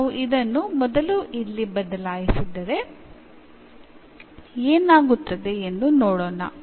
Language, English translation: Kannada, Now, if we substitute this first here let us see what will happen